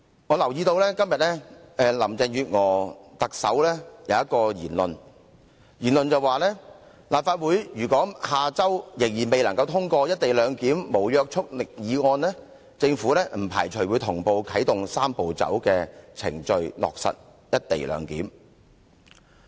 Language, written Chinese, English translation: Cantonese, 我留意到特首林鄭月娥今天的一番言論，她說立法會如果下周仍然未能通過"一地兩檢"無約束力議案，政府不排除同步啟動"三步走"程序，落實"一地兩檢"。, She said that if the Legislative Council could not pass the non - legally binding motion on the co - location arrangement next week she did not preclude the possibility of activating the Three - step Process in parallel so as to make sure that the arrangement could be implemented in good time